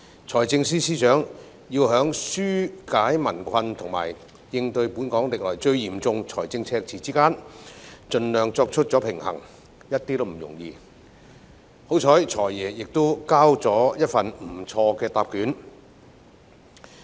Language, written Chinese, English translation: Cantonese, 財政司司長要在紓解民困及應對本港歷來最嚴重的財政赤字之間盡量作出平衡，一點也不容易，幸好"財爺"交出的答卷還算不錯。, It is not easy for the Financial Secretary FS to strike a balance between alleviating peoples difficulties and dealing with the worst fiscal deficit in Hong Kongs history . Fortunately the answer given by FS is not bad